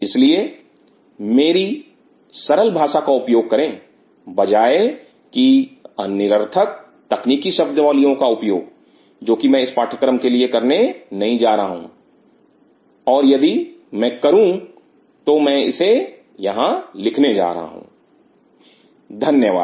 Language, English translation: Hindi, So, they are with my using the simple languages instead of using technical jargons, which I am not going to use towards the course and if I use I am going to write it down here thank you